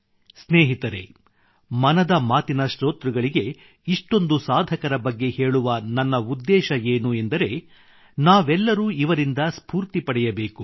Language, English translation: Kannada, the purpose of talking about so many people to the listeners of 'Mann Ki Baat' is that we all should get motivated by them